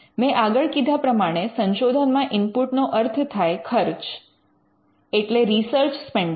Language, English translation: Gujarati, I had already mentioned the input into the research is the research spending